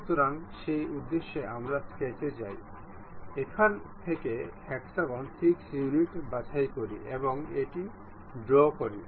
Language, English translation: Bengali, So, for that purpose we go to sketch, pick hexagon 6 units from here draw it